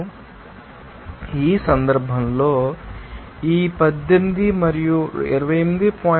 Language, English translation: Telugu, Now, in this case, this 18 and 28